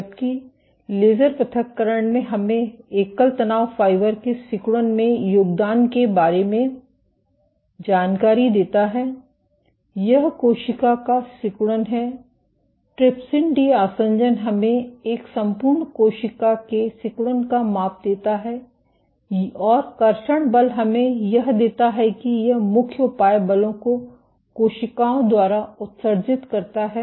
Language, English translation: Hindi, While laser ablation gives us information about contribution of single stress fiber to contractility, this is cell contractility, trypsin de adhesion gives us a whole cell contractility measure, and traction force gives us forces it main measures forces exerted by cells